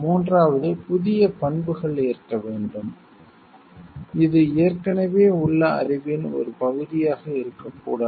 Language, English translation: Tamil, Third new characteristics must exist which is not a part of an existing knowledge